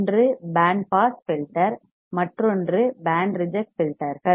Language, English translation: Tamil, One is band pass filter and another one is band reject filters